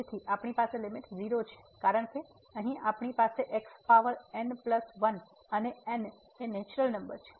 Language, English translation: Gujarati, So, we have the limit because here we have the power plus and n is a natural number